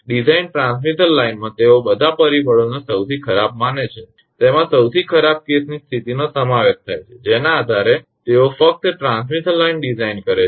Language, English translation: Gujarati, In the design transmission line, they consider all the factors most worse including the worst case condition based on that they just design the transmission line